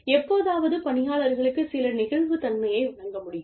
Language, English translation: Tamil, And, once in a while, some flexibility can be given to the employees